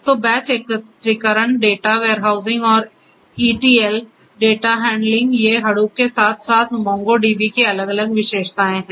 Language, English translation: Hindi, So, batch aggregation data warehousing and ETL data handling these are the different characteristics of or the different functionalities of the MongoDB along with Hadoop